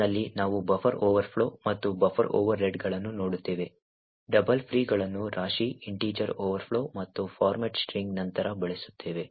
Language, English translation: Kannada, So, we will be looking at during the course at buffer overflows and buffer overreads, heaps double frees and use after free, integer overflows and format string